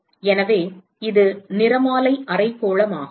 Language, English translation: Tamil, So, it is the spectral hemispherical